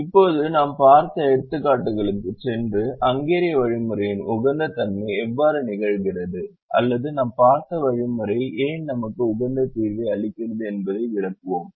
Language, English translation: Tamil, so let us now go to the examples that we have seen and explain how the optimality of the hungarian algorithm happens, or why the algorithm that we have seen gives us the optimum solution